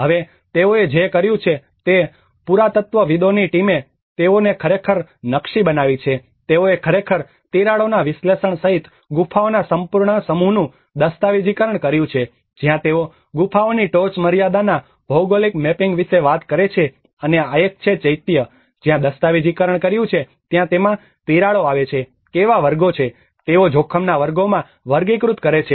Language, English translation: Gujarati, \ \ Now, what they did was the archaeologists team they have actually mapped down, they have actually documented the whole set of caves including the analysis of the cracks this is where they talk about a geological mapping of the ceiling of the caves and this is one of the Chaitya where they have documented where are the cracks coming into it, what are the categories, they have classified the categories of the risk